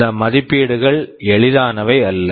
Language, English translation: Tamil, These assessments are not easy